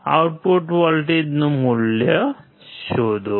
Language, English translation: Gujarati, Find out the value of the output voltage